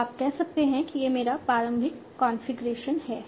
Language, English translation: Hindi, So you can say that this is my initial configuration